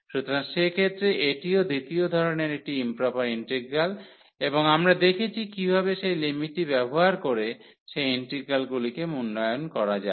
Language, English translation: Bengali, So, in that case also this is a improper integral of a second kind and they we have seen how to evaluate those integrals basically using that limit